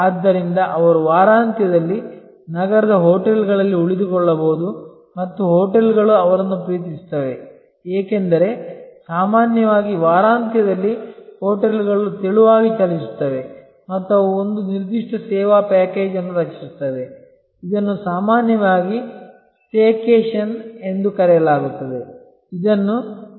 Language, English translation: Kannada, So, they may take a week end often stay in a hotel in the city and hotels love them, because normally hotels run lean during the weekends and they create a particular service package, which is often called a staycation that as suppose to vacation